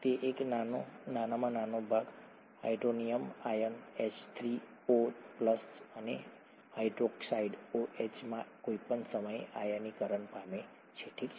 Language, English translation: Gujarati, A small part of it is ionised at any time into hydronium ions, H3O plus, and hydroxide OH minus, okay